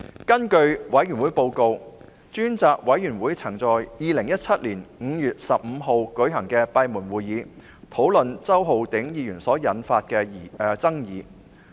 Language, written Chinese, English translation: Cantonese, 根據專責委員會報告，專責委員會曾在2017年5月15日舉行的閉門會議討論周浩鼎議員所引發的爭議。, According to the report of the Select Committee the Select Committee discussed the controversy arising from Mr Holden CHOW at a closed meeting held on 15 May 2017